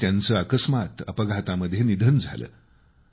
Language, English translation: Marathi, He died in an accident